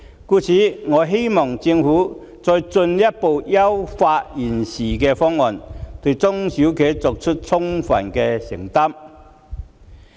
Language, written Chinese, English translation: Cantonese, 故此，我希望政府再進一步優化現時的方案，對中小企作出充分的承擔。, Therefore I hope the Government will further refine the existing proposal and make full commitments to small and medium enterprises